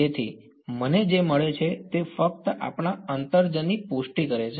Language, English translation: Gujarati, So, that is what I get this is just confirming our intuition